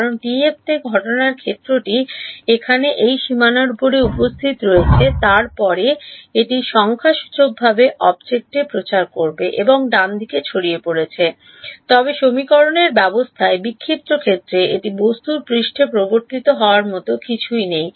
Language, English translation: Bengali, Because in TF the incident field has appeared over here on this boundary then it has to numerically propagate to the object and gets scattered right, but in the scattered field in the system of equations its being introduced on the surface of the object there is no what is called grid dispersion right